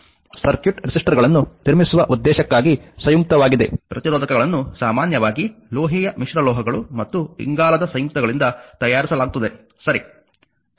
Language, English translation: Kannada, For the purpose of constructing circuit resistors are compound; resistors are usually made from metallic alloys and the carbon compounds, right